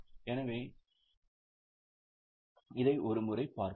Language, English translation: Tamil, So, let us have a look